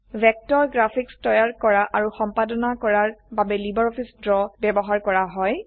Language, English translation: Assamese, Vector graphics are created and edited using LibreOffice Draw